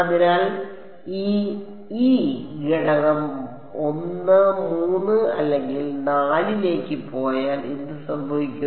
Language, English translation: Malayalam, So, if this e goes to element 1 3 or 4 what will happened